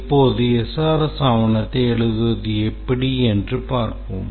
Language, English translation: Tamil, Now let's see how to write the SRS document